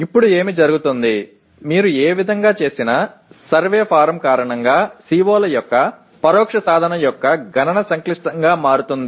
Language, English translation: Telugu, And now what happens, whichever way you do, the computation of indirect attainment of COs because of the survey form can turn out to be complex